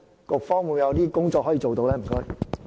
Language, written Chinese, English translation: Cantonese, 局方有甚麼工作可以做到？, What actions can be taken by the Bureau in this regard?